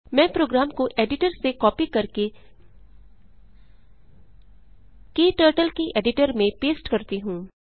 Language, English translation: Hindi, Let me copy the program from editor and paste it into KTurtles editor